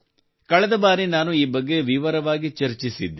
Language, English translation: Kannada, I had also discussed this in detail last time